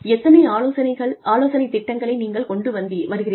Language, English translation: Tamil, How many consulting projects, you bring in